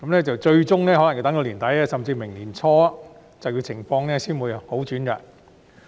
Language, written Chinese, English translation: Cantonese, 最終可能要到年底，甚至明年年初，就業情況才會好轉。, Ultimately the employment situation may only improve at the end of the year or even early next year